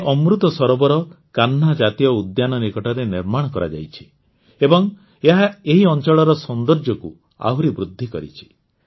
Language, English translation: Odia, This Amrit Sarovar is built near the Kanha National Park and has further enhanced the beauty of this area